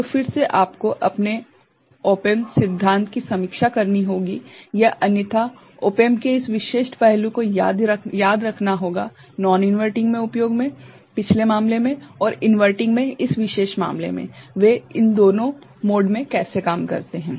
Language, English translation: Hindi, So, again you have to review your op amp theory or otherwise remember this specific aspect of op amp being used in non inverting, in the previous case and, inverting, in this particular case how they work in these two modes